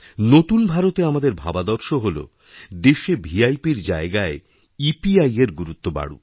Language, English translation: Bengali, Our concept of New India precisely is that in place of VIP, more priority should be accorded to EPI